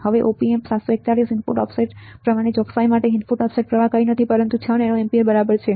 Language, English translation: Gujarati, Now, for a precision of Op Amp 741 input offset current, input offset current is nothing, but 6 nano amperes ok